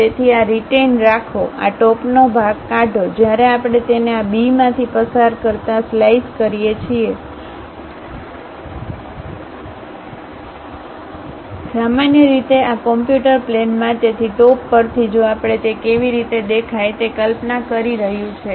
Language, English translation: Gujarati, So, retain this, remove this top portion; when we slice it passing through this B, normal to this computer plane, so from top view if we are visualizing how it looks like